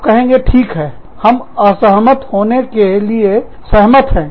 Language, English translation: Hindi, You will say, okay, let us agree to disagree